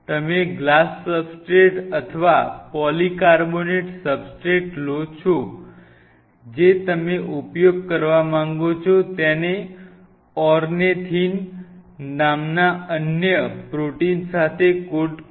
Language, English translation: Gujarati, You take the glass substrate or the polycarbonate substrate whatever you want you to use you coat it with another protein called ornithine, ornithine